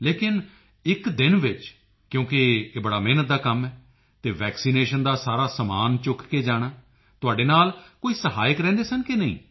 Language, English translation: Punjabi, But since for an entire day, it must have been an arduous task…along with lugging and carrying all the vaccination apparatus…did any assistant accompany you or not